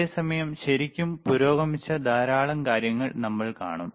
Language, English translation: Malayalam, At the the same time, we will see lot of things which are really advanced right